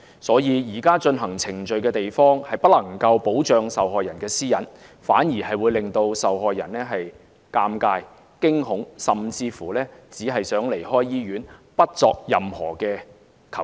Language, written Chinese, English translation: Cantonese, 所以，現時進行程序的地方，不能夠保障受害人的私隱，反而會令受害人尷尬、驚恐，甚至只想離開醫院，不作任何求助。, For that reason the present location for conducting the procedures cannot protect the privacy of the victim . Quite the contrary it will embarrass and terrify the victim making them want to get out of the hospital at once and feel that they no longer want to ask for help